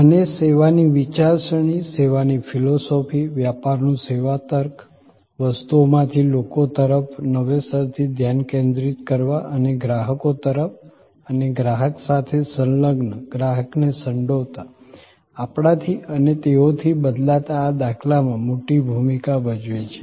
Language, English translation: Gujarati, And the service thinking, service philosophy, service logic of business as a big role to play in this paradigm shift from objects to people, from the renewed focus and the customer and engaging with the customer's, involving the customer, changing from we and they to us